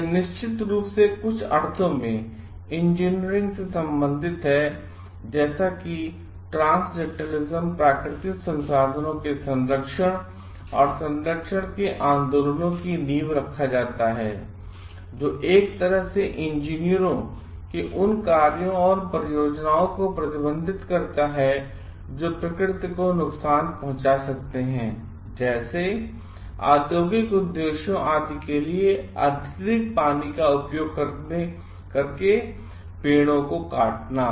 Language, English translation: Hindi, This is definitely related to engineering in some sense, as transcendentalism lead to the foundation of the movements of conservation and preservation of natural resources; which in a way restricts the actions of engineers, which might harm nature like cutting trees using excessive water for industrial purposes etcetera